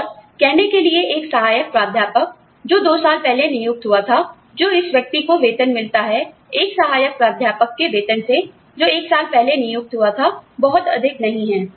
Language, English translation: Hindi, And, to move from, say, an assistant professor, who joined two years ago, the salary, this person gets, to the salary of an assistant professor, who joined, may be, one year ago, is not too much